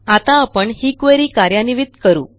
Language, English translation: Marathi, Thats it, let us run this query now